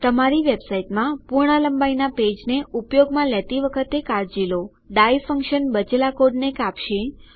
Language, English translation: Gujarati, Take care when you are using a full length page in your website, the die function will cut off the rest of the code